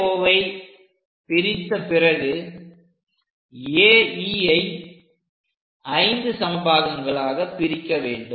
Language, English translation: Tamil, Then divide AO and AE into same number of points